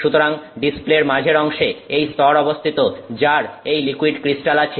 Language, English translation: Bengali, So, the central part of the display is this layer which has the liquid crystal